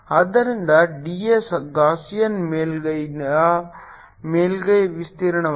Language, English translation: Kannada, so d s is the surface area of the gaussian surface